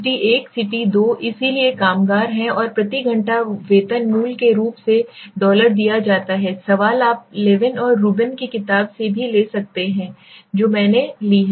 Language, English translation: Hindi, City 1, City 2 so there are workers and the hourly wage is given basically dollars this is this question you can also find from the book also right from Levin and Rubin book I have taken